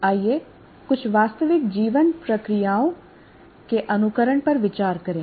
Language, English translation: Hindi, Now, let us go to simulation of some some real life processes